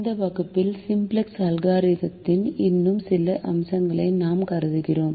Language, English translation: Tamil, in this class we consider some more aspects of the simplex algorithm